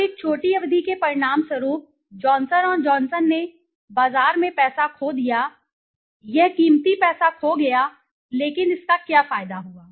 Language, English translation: Hindi, Now as a result in a short term Johnson and Johnson lost money in the market, it lost precious money but what did it gain